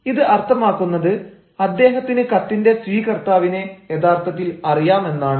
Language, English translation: Malayalam, now, meaning thereby he actually knows the recipient of the letter